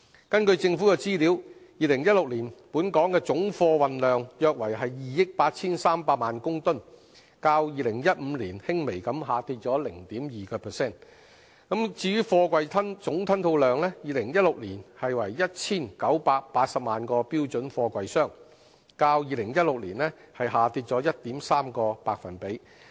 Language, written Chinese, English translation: Cantonese, 根據政府的資料 ，2016 年本港總貨運量約為2億 8,300 萬公噸，較2015年輕微下跌了 0.2%； 至於貨櫃總吞吐量 ，2016 年為 1,980 萬個標準貨櫃箱，較2015年下跌 1.3%。, It is really disappointing that more resources have not been allocated to launch forceful measures to facilitate the development of our pillar industries and promote the economy of Hong Kong . According to the information provided by the Government the total cargo throughput of Hong Kong in 2016 was about 283 million tonnes representing a slight decrease of 0.2 % over 2015; while the total container throughput in 2016 was 19.8 million twenty - foot equivalent units TEUs representing a decrease of 1.3 % over 2015